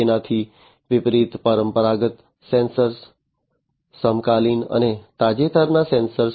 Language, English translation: Gujarati, So, in contrast, to the conventional sensors the contemporary ones the recent ones